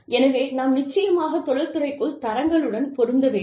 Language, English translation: Tamil, So, we must definitely match the standards, within the industry